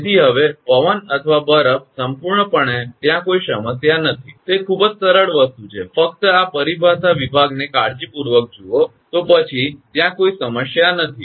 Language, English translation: Gujarati, Therefore, so wind or ice absolutely there is no problem, it is very simple thing; only see this terminology division carefully, then absolutely there is no problem